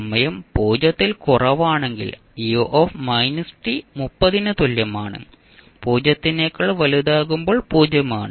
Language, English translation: Malayalam, Now u minus t is equal to 30 when t less than 0 and 0 when t greater than 0